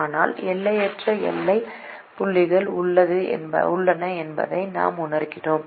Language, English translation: Tamil, but then we also realize that there are infinite boundary points